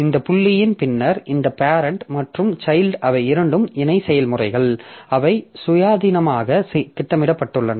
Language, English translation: Tamil, Then this after this point this parent and child they are two parallel processes and they are scheduled independently